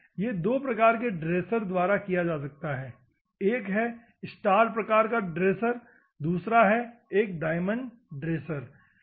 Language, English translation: Hindi, This can be done by the two varieties of dresses one is a star type of dress, another one is a diamond dress